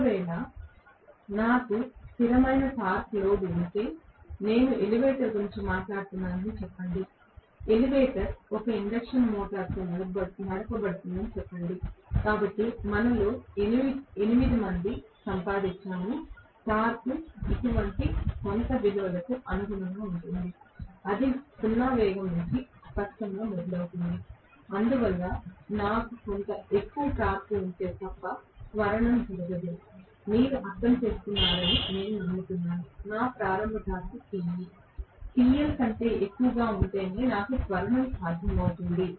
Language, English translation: Telugu, If, I have a constant torque load for example let us say I am talking about an elevator, elevator is driven by an induction motor let us say, so 8 of us have gotten, may be the torque corresponds to some value like this right, it is starting from 0 speed clearly, so unless I have some amount of torque in excess, there is no way acceleration will take place, I hope you understand, I will have acceleration possible only if my starting torque which is Te starting is greater than TL